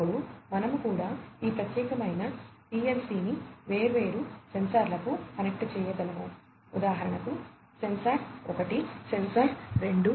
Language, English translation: Telugu, Then, we could similarly have this particular PLC connect to different sensors, for example, sensor 1, sensor 2 etcetera